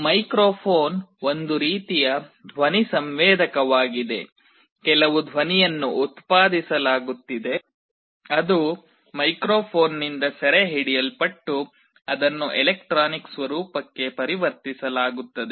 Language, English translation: Kannada, Microphone is a kind of a sound sensor, some sound is being generated that is captured by the microphone and it is converted to electronic format